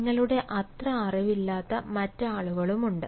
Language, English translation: Malayalam, there are other people also who may not having as much knowledge as you